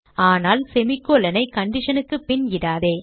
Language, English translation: Tamil, * But dont add semi colons after the condition